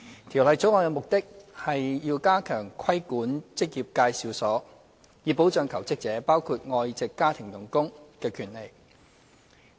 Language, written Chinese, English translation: Cantonese, 《條例草案》的目的是要加強規管職業介紹所，以保障求職者，包括外籍家庭傭工的權利。, The object of the Bill is to strengthen the regulation of employment agencies with a view to protecting jobseekers including foreign domestic helpers of their rights